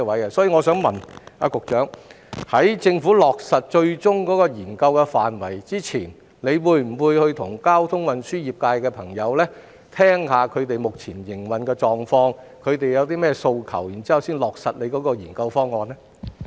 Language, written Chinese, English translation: Cantonese, 因此，我想問局長，在政府落實最終的研究範圍之前，會否與交通運輸業界的朋友會面，了解他們目前的營運狀況、他們有何訴求，然後才落實研究方案呢？, As such may I ask the Secretary whether the Government will meet with members of the transport sector to find out their current operating conditions and aspirations before finalizing the proposed study?